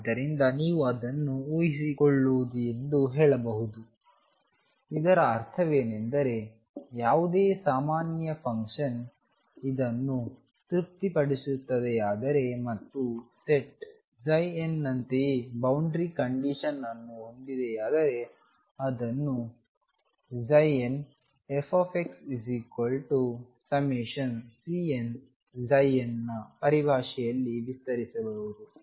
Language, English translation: Kannada, So, you can say assuming it, what it means is that any completeness any function general function satisfying the same and that is emphasize same boundary conditions as the set psi n can be expanded in terms of psi n as f x equals summation C n psi n x